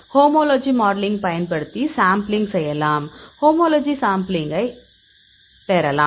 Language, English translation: Tamil, We can model using homology modelling; so you can homology model you can get the homology model